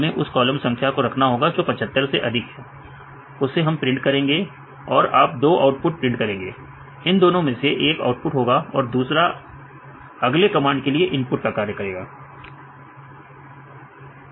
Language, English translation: Hindi, We have to put this column number which is greater than 75 then you print right and you print this two output, right this output will be the input of this the next command